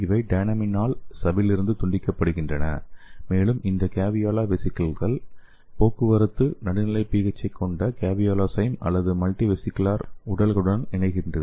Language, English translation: Tamil, So which are cut off from membrane by the dynamin and this caveolae vesicles traffic to fuse with caveosomes or multivesicular bodies which have neutral pH